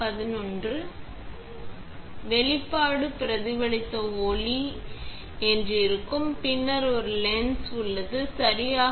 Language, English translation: Tamil, So, the exposure would be that you have the reflected light and then there is a lens, right